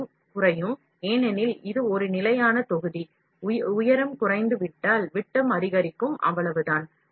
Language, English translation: Tamil, The height will reduce, because it’s a constant volume; if the height will reduce, the diameter will increase, that is all